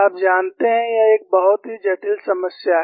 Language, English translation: Hindi, You know, it is a very complex problem